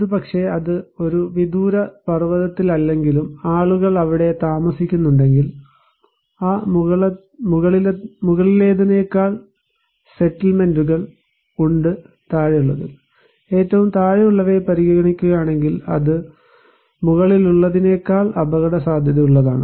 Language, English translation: Malayalam, But maybe if it is not in a remote mountain but people are living there, settlements are there compared to that top one, if we consider the bottom one to us, it is more risky than the top one